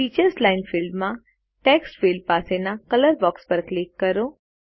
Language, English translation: Gujarati, In the Teachers line field, click on the color box next to the Text field